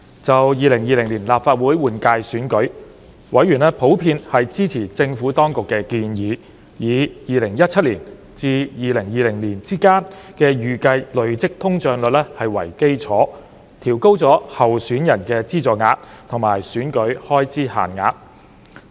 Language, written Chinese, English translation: Cantonese, 就2020年立法會換屆選舉，委員普遍支持政府當局建議，以2017年至2020年之間的預計累積通脹率為基礎，調高候選人的資助額及選舉開支限額。, Speaking of the 2020 Legislative Council General Election members generally supported the Administrations proposal of increasing the subsidy rate of the financial assistance for candidates and election expenses limits on the basis of the estimated cumulative inflation rate from 2017 to 2020